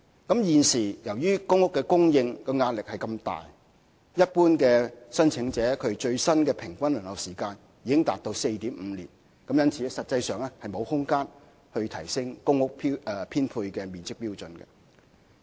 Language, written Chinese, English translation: Cantonese, 由於現時公屋供應的壓力如此大，一般申請者的最新平均輪候時間已達 4.5 年，實際上已沒有提升公屋編配面積標準的空間。, Owing to the great pressure on the supply of PRH at present with the new average waiting time of general applicants reaching 4.5 years there is no room for any increase in the prescribed standard of average living space